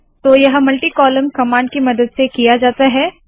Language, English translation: Hindi, So this is done with the help of, what is known as multi column command